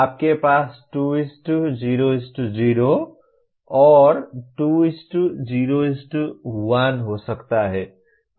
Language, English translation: Hindi, You can have 2:0:0, 2:0:1